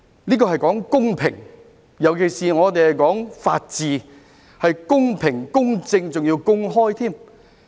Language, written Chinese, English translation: Cantonese, 這是關乎公平，尤其是我們講求法治，要公平、公正而且公開。, This is particularly important as fairness is at stake . When we uphold the rule of law we need to uphold fairness impartiality and openness